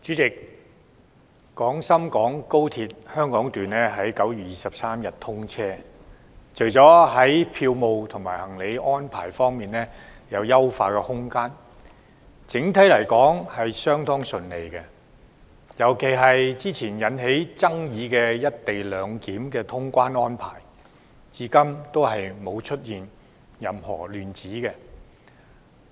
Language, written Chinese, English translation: Cantonese, 主席，廣深港高鐵香港段在9月23日通車，除了票務和行李安排方面有優化空間之外，整體來說相當順利，尤其是之前引起爭議的"一地兩檢"通關安排，至今沒有出現任何亂子。, President the Hong Kong Section of Guangzhou - Shenzhen - Hong Kong Express Rail Link was commissioned on 23 September . While there is still room for improvement in the ticketing and baggage arrangements the overall operation has been pretty smooth . Particularly the co - location clearance arrangement which attracted quite a lot of controversies has been implemented in order so far